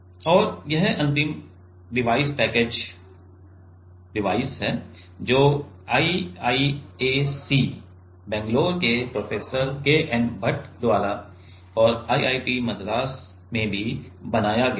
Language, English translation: Hindi, And this is the final device package device which are made by Professor K N Bhat in IISC Bangalore, and also in IIT madras